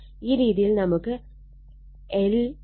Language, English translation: Malayalam, So, in this case, it will be 2